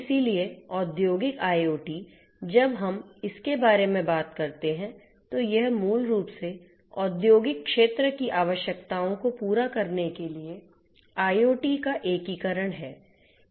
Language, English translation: Hindi, So, industrial IoT, when we talk about it is basically an integration of IoT to cater to the requirements of the industrial sector